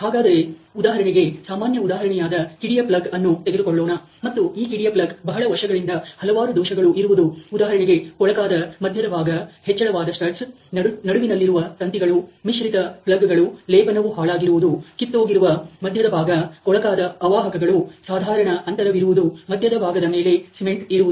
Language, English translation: Kannada, So, a common example for example, at the spark plug ok and so there may be many years various defects in this spark plug like for example, dirty core raised studs of center wire, mixed plugs, bad plating, chip cores, dirty insulators, core gaping, cement on core